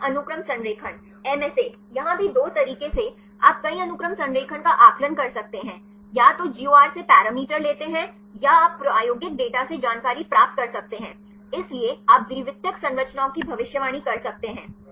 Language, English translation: Hindi, Multiple Sequence Alignment; MSA here also two ways you can assess the multiple sequence alignment; either take the parameters from the GOR or you can get the information from the experimental data, so you can predict the secondary structures